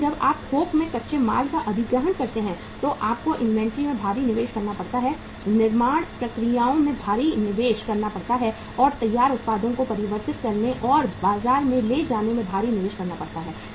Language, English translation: Hindi, But when you acquire the raw material in bulk you have to invest huge in the inventory, invest huge in the manufacturing processes and invest huge in converting the finished products and taking it to the market